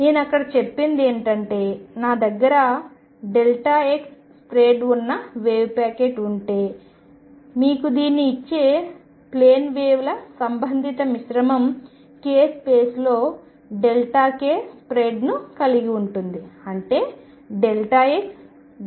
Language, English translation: Telugu, And what I had said there that if I have a wave packet which has a spread of delta x, the corresponding mixture of plane waves that gives you this has delta k spread in k space such that delta x delta k is of the order of one